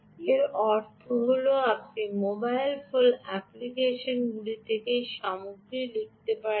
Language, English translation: Bengali, what it means is you can write content from the mobile phone app, let us say some app